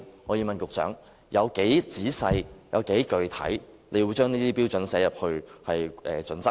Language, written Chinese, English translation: Cantonese, 我要問局長，當局會有多仔細、多具體地將這些標準納入《規劃標準》內？, I would like to ask the Secretary How specific and detailed will these standards be included in HKPSG?